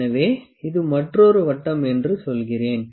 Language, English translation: Tamil, So, let me say this is another circle this another circle here